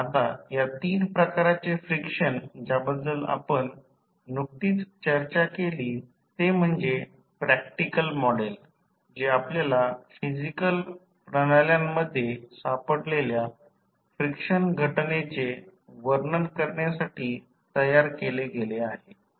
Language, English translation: Marathi, Now, these three types of frictions which we have just discussed are considered to be the practical model that has been devised to describe the frictional phenomena which we find in the physical systems